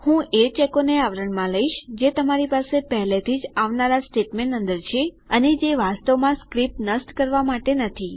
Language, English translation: Gujarati, I recommend casing the checks that you already have inside the next statement and not really to kill the script